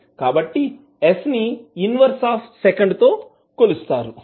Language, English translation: Telugu, So, s will have a unit of inverse of second